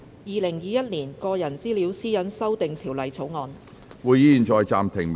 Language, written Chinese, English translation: Cantonese, 《2021年個人資料條例草案》。, Personal Data Privacy Amendment Bill 2021